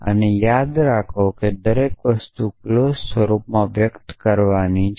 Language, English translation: Gujarati, And remember that everything is to be expressed in clause form